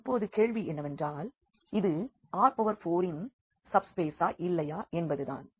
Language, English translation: Tamil, Now, the question is whether this is a subspace of the R 4 or not